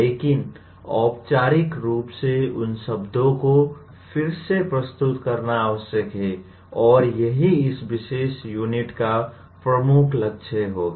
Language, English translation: Hindi, But, it is necessary to formally get reintroduced to those words and that will be the major goal of this particular unit